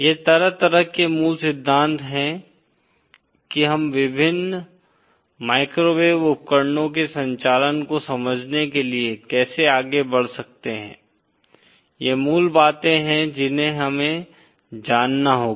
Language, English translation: Hindi, These are kind of the fundamentals of how we can go ahead to understand the operation of various microwave devices these are the fundamentals that we have to know